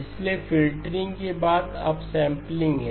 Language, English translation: Hindi, So up sampling followed by filtering